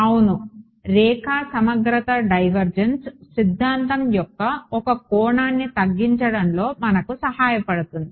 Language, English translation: Telugu, Line integral right the divergence theorem helps us to reduce one dimension